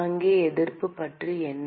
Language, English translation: Tamil, What about the resistance here